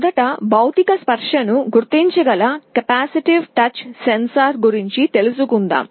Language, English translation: Telugu, First let us talk about capacitive touch sensor that can detect physical touch